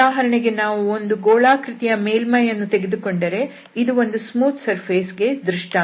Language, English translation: Kannada, So, for example, if we consider the surface of a sphere, so this is an example of smooth surface